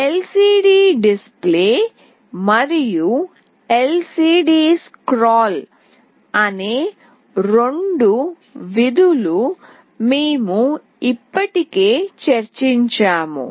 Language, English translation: Telugu, The two functions LCDdisplay and LCDscroll we have already discussed